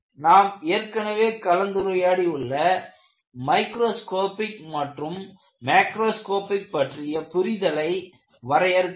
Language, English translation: Tamil, So, you have to delineate what we discuss at the microscopic level and what we understand at the macroscopic level